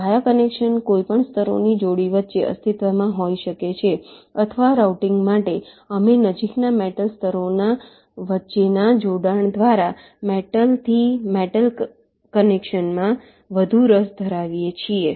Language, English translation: Gujarati, via connection can exist between any pair of layers or for routing, we are more interested in metal to metal connections via connections between adjacent metal layers